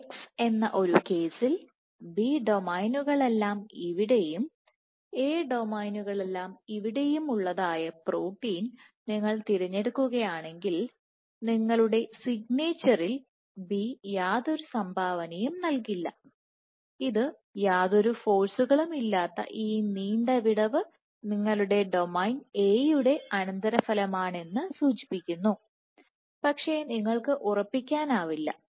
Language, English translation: Malayalam, So, if you pick up the protein such that all these B domains are here and all these A domains are here B will not contribute to your signature, suggesting that this long gap of almost 0 force is a consequence of your domain A, but you do not know for sure